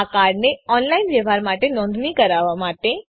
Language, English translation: Gujarati, To register this card for online transaction